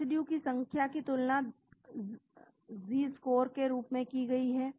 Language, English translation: Hindi, Number of residues has been compared as Z score